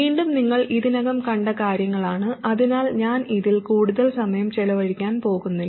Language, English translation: Malayalam, And again, these are things that you have already seen before, so I am not going to spend much time on this